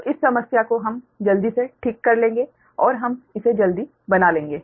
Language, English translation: Hindi, so this problem we will quickly, we will make it right and this one we will make it quickly